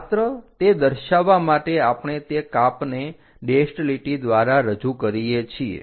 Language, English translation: Gujarati, To just indicate that we represent that cut by a dashed line